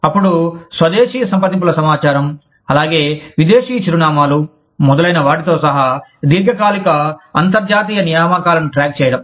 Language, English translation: Telugu, Then, keeping track of long term international assignees, including home country contact information, as well as foreign addresses, etcetera